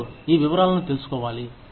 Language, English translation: Telugu, Nobody, needs to know, these details